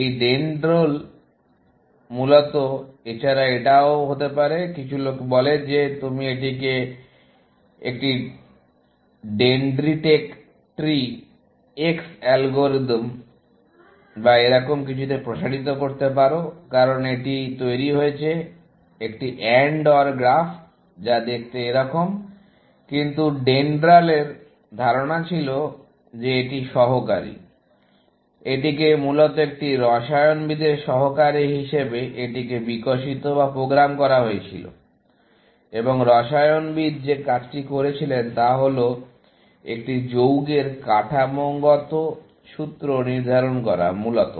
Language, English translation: Bengali, This DENDRAL, basically, also can be, some people say you can extend it to a dentritec tree X algorithm or something like that, because it generated also, an AND OR graph, which look like that, but the idea of DENDRAL was that it was the assistant; it was originally developed or programmed it as an assistant to a chemist, and the task that the chemist was doing was to determining the structural formula of an compound, essentially